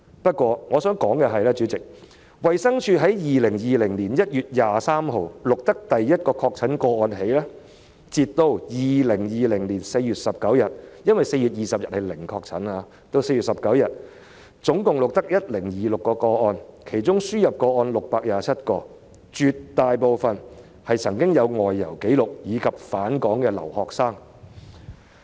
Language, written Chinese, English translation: Cantonese, 不過，主席，我想指出的是，自從衞生署在2020年1月23日錄得首宗確診個案以來，截至2020年4月19日——因為4月20日是"零確診"——本港共錄得 1,026 宗確診個案，其中輸入個案有627宗，絕大部分病人有外遊紀錄，以及是返港的留學生。, However President I would like to point out that from 23 January 2020 when the Department of Health recorded the first confirmed case to 19 April 2020―there was no confirmed case on 20 April―Hong Kong recorded a total number of 1 026 confirmed cases of which 627 were imported cases and most patients had travel history and were overseas students who had returned to Hong Kong